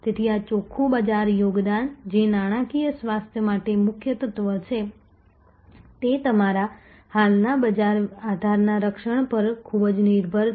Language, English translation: Gujarati, So, this net market contribution, which is a key element for the financial health again is very, very dependent on good solid protection of your existing market base